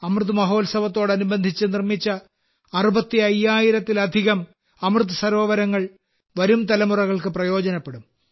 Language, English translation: Malayalam, The more than 65 thousand 'AmritSarovars' that India has developed during the 'AmritMahotsav' will benefit forthcoming generations